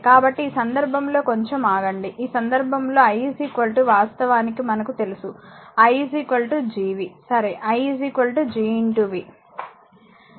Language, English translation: Telugu, So, in this case just hold on ah, in this case your i is equal to actually you know this think i is equal to Gv, right i is equal to G into v